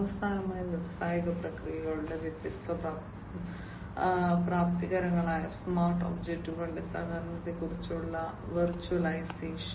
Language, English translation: Malayalam, And finally the virtualization which is about the collaboration of the smart objects, which are the different enablers of industrial processes